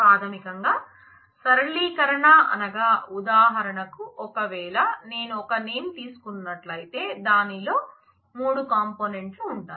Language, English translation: Telugu, So, flattening basically is for example, if I take a name it has 3 components